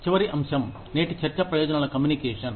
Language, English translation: Telugu, Last topic, for today's discussion is, benefits communication